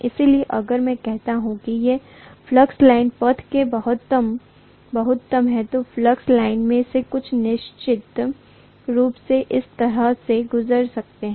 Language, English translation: Hindi, So if I say that these are majority of the flux lines path, some of the flux lines can definitely go through this, like this